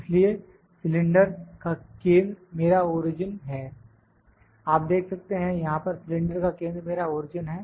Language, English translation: Hindi, Now, the centre of the cylinder is my origin you can see here the centre of the cylinder is my origin